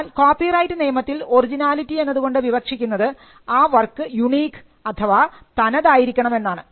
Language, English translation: Malayalam, In copyright law originality refers to the fact that it is unique in the sense that it originated from the author